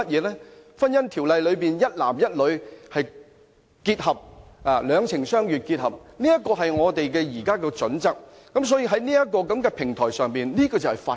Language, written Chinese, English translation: Cantonese, 在《婚姻條例》中，一男一女、兩情相悅的結合，是我們現時的準則，所以在這個平台上，這就是法規。, Under the Ordinance the union of a man and a woman based on mutual love is our existing requirement . On this platform this is the requirement in law